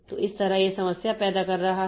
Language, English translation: Hindi, So, that way it is creating the problem